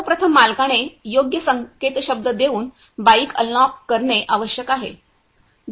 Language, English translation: Marathi, First of all the owner has to unlock the bike using giving a right password